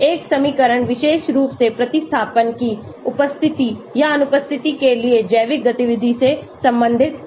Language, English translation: Hindi, An equation is derived relating biological activity to the presence or absence of particular substituents